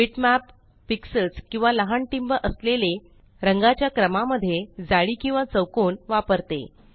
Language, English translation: Marathi, A bitmap uses pixels or a series of very small dots of colors in a grid or a square